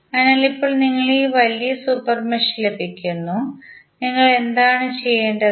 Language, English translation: Malayalam, So, now you get this larger super mesh, what you have to do